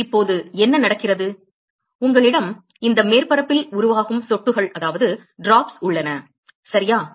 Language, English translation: Tamil, So, now, what happens is you have drops which are formed along this surface ok